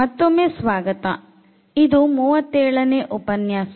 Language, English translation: Kannada, So, welcome back and this is lecture number 37